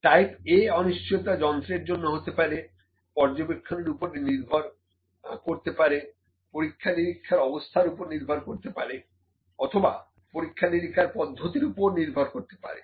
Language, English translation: Bengali, Type A uncertainty may be due to the instrument again due to the observer or due to the experimental condition experiments the way experiments are conducted